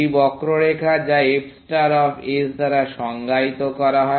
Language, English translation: Bengali, This is the curve which is defined by f star of s